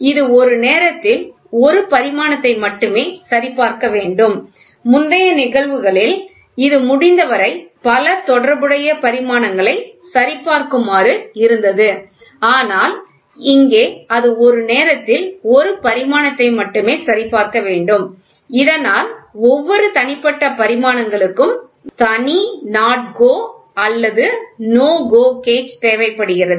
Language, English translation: Tamil, It should check only one dimension at a time; in the previous case it should check simultaneously as many related dimensions as possible, but here it should check only one dimension at a time thus a separate NO gauge NO NOT GO or NO GO gauge is required for each individual dimensions